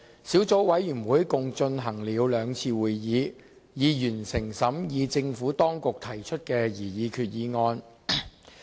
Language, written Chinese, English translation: Cantonese, 小組委員會共舉行了兩次會議，並已完成審議政府當局提出的擬議決議案。, The Subcommittee held two meetings in total and had completed the scrutiny of the proposed resolution to be moved by the Government